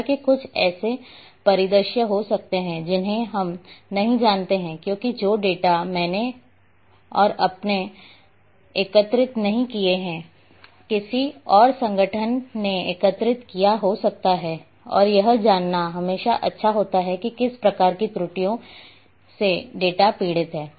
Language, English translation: Hindi, However, there might be some scenarios there we do not know because the data all data I am not going to collect you are not going to collect, somebody else some other organization might have collected and it is always good to know what kind of errors that data is suffering